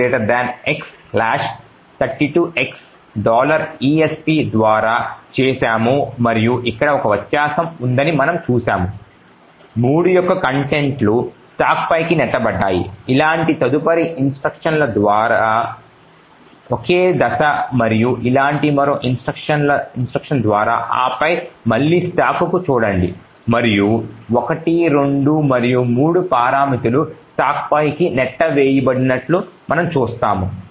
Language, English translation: Telugu, So that we have done by this x 32x followed $esp and we see that there is a difference here the contents of 3 have been pushed on to the stack, single step through the next instruction like this and one more instruction like this and then look at the stack again and we see that all the parameters 1, 2 and 3 have been pushed on to the stack